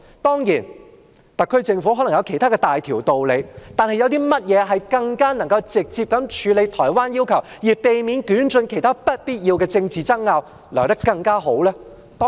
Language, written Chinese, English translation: Cantonese, 當然，特區政府可能有其他大道理，但有甚麼方式比透過這個平台更能直接處理台灣的要求，而避免捲進其他不必要的政治爭拗呢？, Certainly the SAR Government may have other serious reasons but is there any other channel that can address the request of Taiwan more directly than this platform thus avoiding being dragged into other unnecessary political controversies?